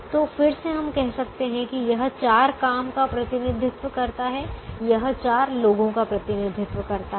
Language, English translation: Hindi, so again we can say that this represents the four jobs, this represents the four people